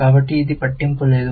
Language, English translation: Telugu, So, it does not matter